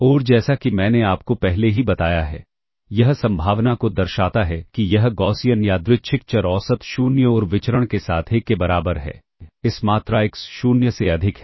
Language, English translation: Hindi, And what it denotes as I have already told you, it denotes the probability that this Gaussian Random variable with mean 0 and variance equal to 1 is greater than this quantity xNot